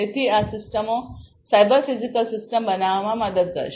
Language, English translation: Gujarati, So, so these systems would help in building the cyber physical system